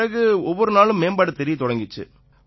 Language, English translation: Tamil, After that, there was improvement each day